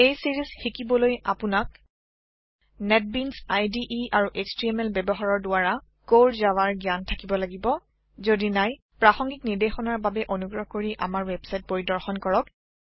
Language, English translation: Assamese, To learn this series, you must have knowledge of Core Java using Netbeans IDE and HTML If not, for relevant tutorials please visit our website